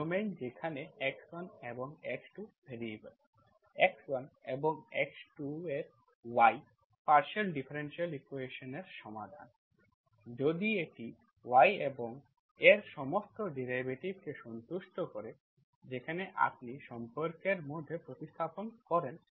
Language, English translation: Bengali, In the domain where x1 and x2 are the variables, y of x1 and x2 is the solution of the partial differential equation, if it satisfies y and its all derivatives, when you substitute into the, into the relation, it has to satisfy